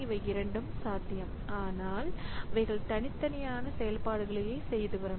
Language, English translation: Tamil, So both of them are possible, but the operations that they are doing are all separate